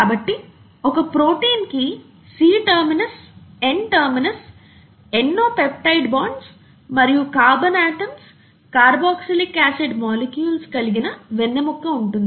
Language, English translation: Telugu, So a protein has a C terminus and an N terminus, it has a backbone consisting of the various peptide bonds and carbon atoms, carboxylic acid molecules and so on